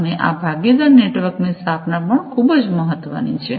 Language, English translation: Gujarati, And the establishment of the partner network, this is also very important